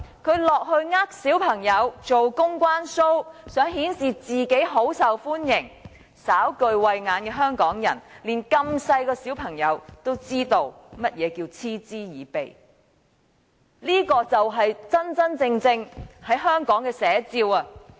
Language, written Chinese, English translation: Cantonese, 他落區欺騙小朋友，做"公關 show"， 想顯示自己很受歡迎，但稍具慧眼的香港人，以及年紀這麼小的小朋友也知道甚麼是嗤之以鼻，這就是香港的真實寫照。, His visits to the districts are intended to fool children and stage public relations shows in a bid to demonstrate his popularity . However Hong Kong people who have discerning eyes and even small children understand what contemptible behaviour is . This is the true picture of Hong Kong